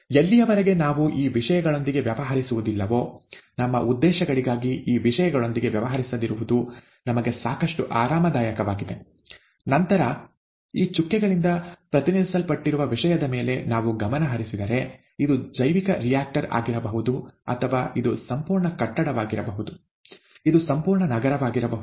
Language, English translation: Kannada, As long as we are not dealing with these things; we are quite comfortable not dealing with these things for our purposes, then, if we focus our attention on something which is represented by these dotted these dashes, this could be anything, this could be a bioreactor (())(, this could be the entire building, this could be an entire city and so on and so forth